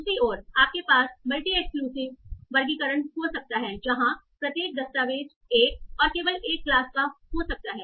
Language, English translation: Hindi, On the other hand you might have this one of a mutually exclusive classification where each document can belong to one and only one class